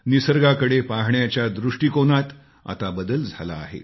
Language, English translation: Marathi, Our perspective in observing nature has also undergone a change